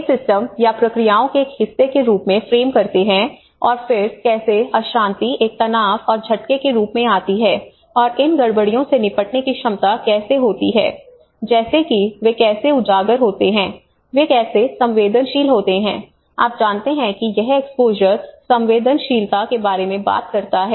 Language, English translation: Hindi, These frames as a part of a system or a processes and then how the disturbance comes as a stress and the shocks and how the capacities to deal with these disturbance like how they are exposed, how they are sensitive you know it talks about exposure, sensitivity and the adaptive capacity, how they can adapt to this